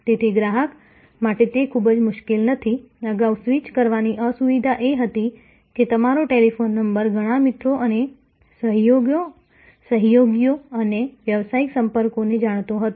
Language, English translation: Gujarati, So, it is not very difficult for a customer, earlier the inconvenience of switching was that your telephone number was known to many friends and associates and business contacts